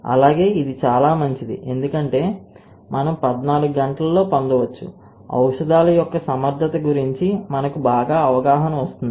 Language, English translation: Telugu, Also this is very good because we can get something around fourteen hours we get all the understanding about the efficacy of the drugs